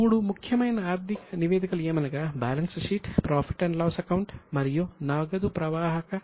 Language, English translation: Telugu, There are three important financial statements, balance sheet, profit and loss and cash flow statement